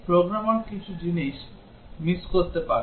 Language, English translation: Bengali, The programmer might miss certain things